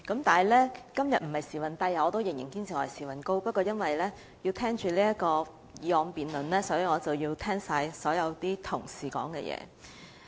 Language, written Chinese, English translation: Cantonese, 不過，今天我並不是"時運低"——我仍然堅持我是"時運高"的——不過，為了要聆聽今天的議案辯論，因此要聆聽所有同事的發言。, Having said that I have not run out of luck today―I still hold that I am favoured by lady luck―nevertheless in order to listen to the debate on todays motion I had to listen to all the speeches delivered by Honourable colleagues